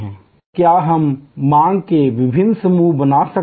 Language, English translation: Hindi, And what we can create different buckets of demand